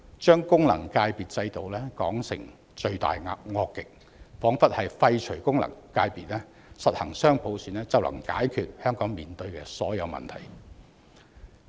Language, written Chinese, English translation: Cantonese, 將功能界別制度說成罪大惡極，彷彿廢除功能界別，實行雙普選，便能解決香港面對的所有問題。, They describe the FC system as heinous as if the abolition of FCs and the implementation of dual universal suffrage could solve all the problems faced by Hong Kong